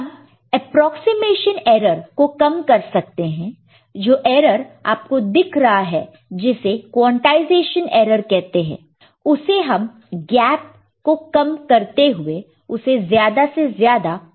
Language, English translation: Hindi, So, of course, we can reduce the approximation error, whatever error that you see, called quantization error, by reducing this gap, making it as close as possible